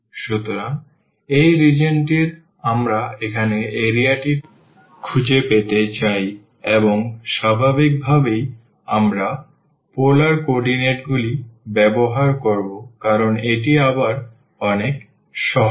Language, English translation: Bengali, So, this is the region we want to find the area now, and naturally we will use the polar coordinates because this is again much easier